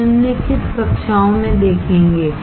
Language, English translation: Hindi, We will see in following classes